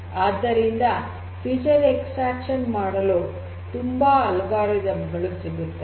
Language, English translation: Kannada, So, there are different different algorithms that are available for feature extraction